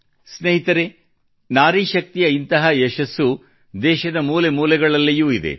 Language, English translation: Kannada, Friends, such successes of women power are present in every corner of the country